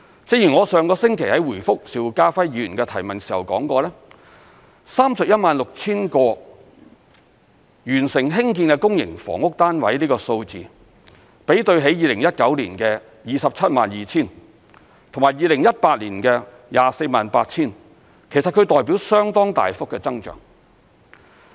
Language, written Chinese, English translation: Cantonese, 正如我上星期在回覆邵家輝議員的提問時說過 ，316,000 個完成興建的公營房屋單位的數字，比對起2019年的 272,000 個及2018年的 248,000 個，其實代表相當大幅的增長。, As I said in my reply to the question raised by Mr SHIU Ka - fai last week the number of 316 000 PRH units to be completed actually represents a substantial increase compared to 272 000 units in 2019 and 248 000 units in 2018